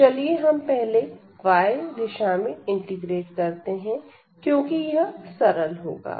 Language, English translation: Hindi, So, let us integrate first in the direction of y because that will be easier